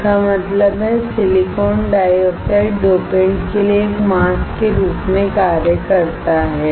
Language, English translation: Hindi, That means, silicon dioxide acts as a mask for the dopant